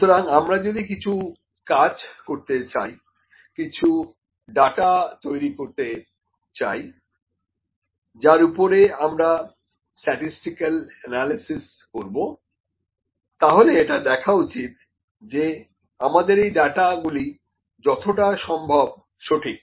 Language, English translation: Bengali, So, if we are going to work if we are going to generate data on which we have to apply statistical analysis, it is important that the data is as accurate as possible